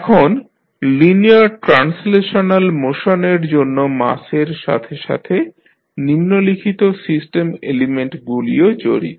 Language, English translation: Bengali, Now, for linear translational motion in addition to the mass, the following system elements are also involved